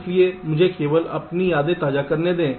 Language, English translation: Hindi, so let me just refresh your memories